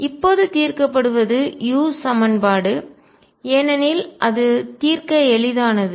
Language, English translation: Tamil, And what will be solving now is the u equation because that is easier to solve